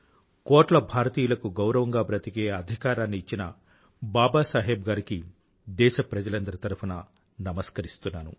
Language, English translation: Telugu, I, on behalf of all countrymen, pay my homage to Baba Saheb who gave the right to live with dignity to crores of Indians